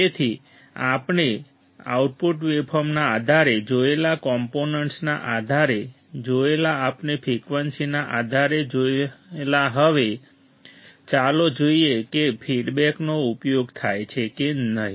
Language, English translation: Gujarati, So, based on the component we have seen based on the output waveform we have seen based on the frequency we have seen now let us see based on whether feedback is used or not